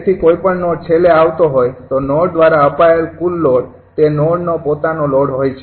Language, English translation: Gujarati, so any node is coming at the last node, total node fed to the node is the load of that node itself